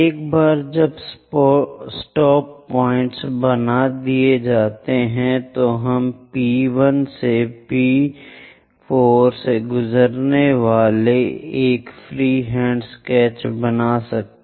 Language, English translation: Hindi, Once the stop points are done we can make a free hand sketch passing through P1, P2, P3, P4 takes a turn goes via that